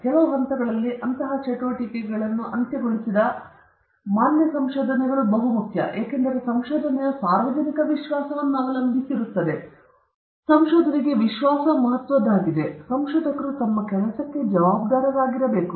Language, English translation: Kannada, The valid findings of a research which sort of concludes such activity at certain stages is very important, and this is because research depends a lot on public trust; it is crucial for research; and hence, researchers must be responsible for their work